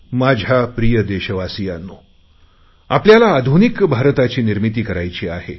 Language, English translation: Marathi, My dear Countrymen, we have to build a modern India